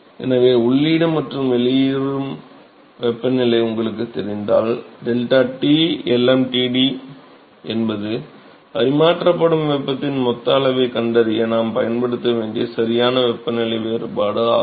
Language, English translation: Tamil, So, if you know the inlet and outlet temperatures then deltaT log mean temperature is the correct temperature difference that we have to use for finding the total amount of heat that is transferred